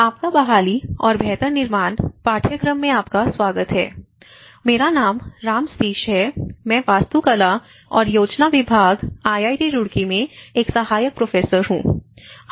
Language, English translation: Hindi, Welcome to the course, disaster recovery and build back better, my name is Ram Sateesh, I am an Assistant Professor in Department of Architecture and Planning, IIT Roorkee